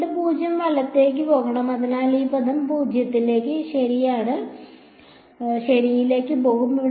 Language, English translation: Malayalam, Field should go to 0 right, so, this term is going to go to 0 ok